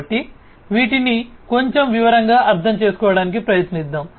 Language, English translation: Telugu, So, let us try to understand these in little bit more detail